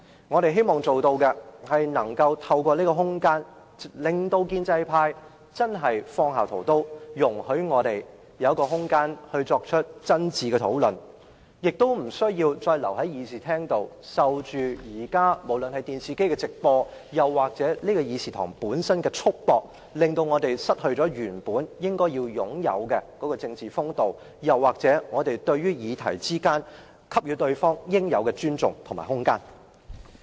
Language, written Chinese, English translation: Cantonese, 我們希望透過這些空間，令建制派真正放下屠刀，讓我們有空間進行真誠討論，無須留在會議廳裏，受電視機直播或本會議廳束縛，以致我們失去應有的政治風度，而應讓議員就討論議題給予對方應有的尊重和空間。, We hope doing so can make the pro - establishment camp call a halt to this massacre so as to give us room to engage in sincere discussion instead of being stuck in this Chamber under the constraint of the live television broadcast or the Council Chamber making it impossible for us to behave like politicians . Indeed Members should treat others with respect and give them scope for discussion